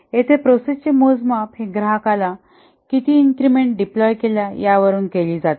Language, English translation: Marathi, Here the progress is measured in how many increments have been deployed at customer site